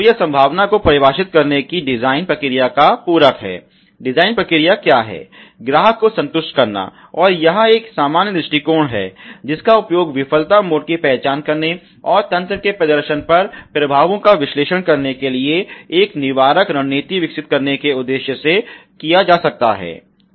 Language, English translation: Hindi, So, it is complementary to the to the design process of defining possibility what is the design process, what is design process must satisfies the costumer and it is a generic approach that can be used to identify failure mode and analyze the effects on the system performance with a objective of developing a preventive strategy